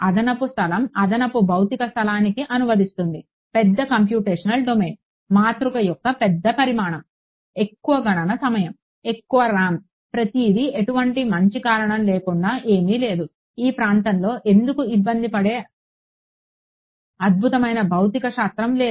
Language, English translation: Telugu, Extra space translates to extra physical space translates to larger computational domain, larger size of matrix, more computation time more RAM everything for no good reason there is no there is nothing, there is no exciting physics happening in this region why bother